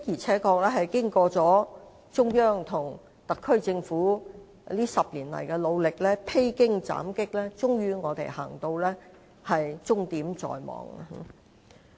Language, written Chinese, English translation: Cantonese, 不過，經中央與特區政府這10年來的努力，披荊斬棘，高鐵終於終點在望。, Nevertheless with the efforts of the Central Authority and the SAR Government over the past 10 years to surmount all obstacles we now reach the end of the road on the project